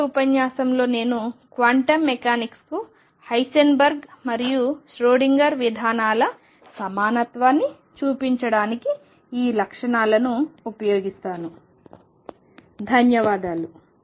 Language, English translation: Telugu, In the next lecture I will use these properties to show the equivalence of Heisenberg’s and Schrodinger’s approaches to quantum mechanics